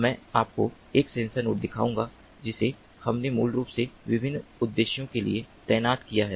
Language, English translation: Hindi, i will show you a sensor node that we have basically deployed for different purposes